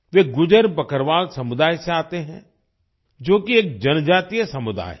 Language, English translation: Hindi, He comes from the Gujjar Bakarwal community which is a tribal community